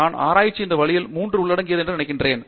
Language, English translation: Tamil, I think research encompasses all these three in a way